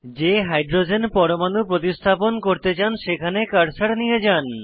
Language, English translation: Bengali, Bring the cursor to the Hydrogen atom you want to substitute